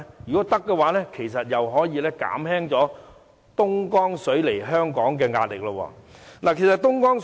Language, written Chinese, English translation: Cantonese, 如果這是可行的，其實也可以減輕東江水供港的壓力。, If it is possible the pressure from our reliance on the Dongjiang water can also be alleviated